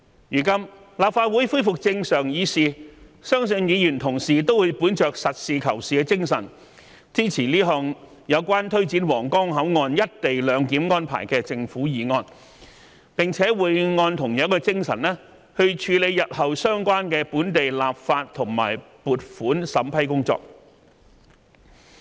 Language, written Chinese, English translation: Cantonese, 如今，立法會恢復正常議事，相信議員同事都會本着實事求是的精神，支持這項有關推展皇崗口岸"一地兩檢"安排的政府議案，並且會按同樣的精神，處理日後相關的本地立法和撥款審批工作。, At present the Legislative Council has resumed normal operation and I believe that our colleagues will adhere to the principle of seeking the truth from facts and support this Government motion of taking forward the co - location arrangement at the Huanggang Port . I believe that they will adhere to the same principle to deal with the relevant local legislation and funding application in the future